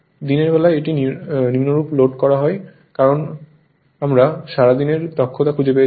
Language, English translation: Bengali, During the day, it is loaded as follows right it is because we have find out all day efficiency